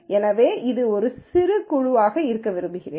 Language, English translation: Tamil, So, I want this to be a compact group